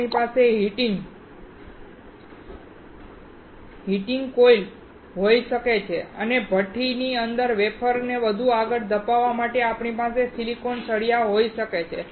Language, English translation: Gujarati, We can have heating coils and we can have the silicon rod to push the wafer further inside the furnace